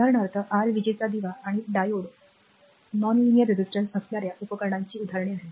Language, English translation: Marathi, For example, your light bulb and diode are the examples of devices with non linear resistance